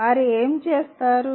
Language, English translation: Telugu, What would they do